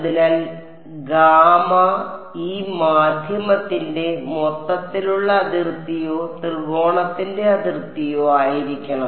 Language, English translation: Malayalam, So, should gamma be the overall boundary of this medium or the boundary of the triangle